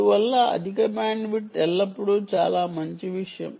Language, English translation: Telugu, therefore, bandwidth is not really very important